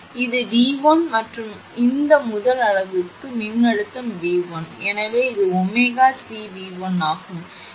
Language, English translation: Tamil, So, this is V 1 plus this is the voltage across this first unit is V 1